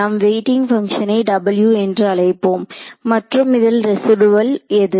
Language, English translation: Tamil, So, let us call the weighting function w and what is the residual in this case